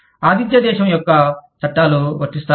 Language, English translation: Telugu, Will the laws of the host country, apply